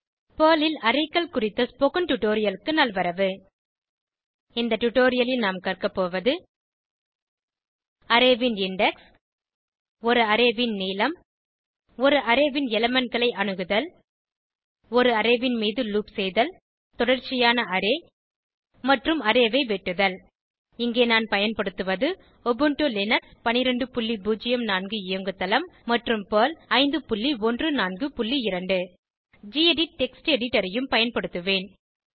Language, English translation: Tamil, In this tutorial, we will learn about Index of an array Length of an array Accessing elements of an array Looping over an array Sequential Array And Array Slicing Here I am using Ubuntu Linux12.04 operating system and Perl 5.14.2 I will also be using the gedit Text Editor